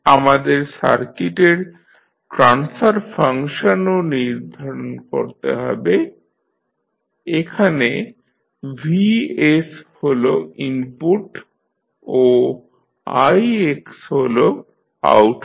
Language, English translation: Bengali, We need to determine the transfer function of the circuit also here vs is the input and ix is the output